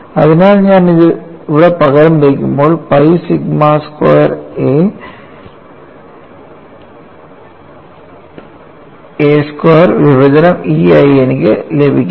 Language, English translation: Malayalam, So, when I differentiate this, I get G as pi sigma squared a divided by E